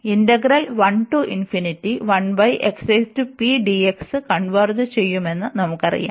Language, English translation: Malayalam, This integral converges